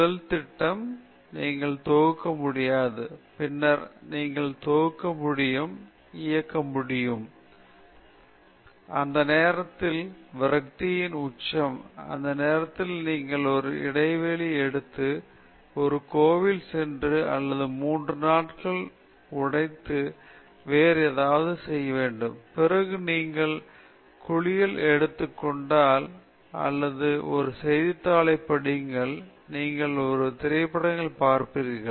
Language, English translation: Tamil, First, first the program, you will not be able to compile; then, you will be able to compile, you will be able to run; when you are running, it gives garbage; then one stage will come, I have done everything, this stupid fellow he is not giving the correct answer; that peak of frustration, at that time you just take a break, and visit a temple or just take three four days break do something else; then, when you are taking bath or you may be reading a newspaper or you are watching a movie, ah